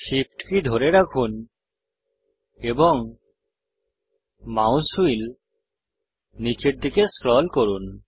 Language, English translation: Bengali, Hold SHIFT and scroll the mouse wheel downwards